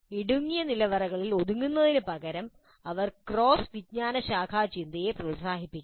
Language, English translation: Malayalam, Instead of being confined to narrow silos, they must encourage cross discipline thinking